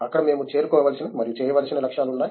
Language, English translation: Telugu, There we had goals that we had to reach and do